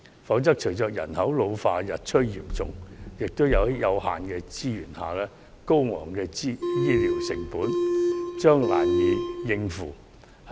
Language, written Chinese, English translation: Cantonese, 否則，隨着人口老化日趨嚴重，在有限的資源下，醫療成本將越趨高昂，難以應付。, Otherwise as our population is ageing rapidly under limited resources the cost of healthcare will be getting too high for us to bear